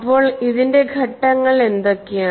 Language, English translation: Malayalam, So, what are the stages in this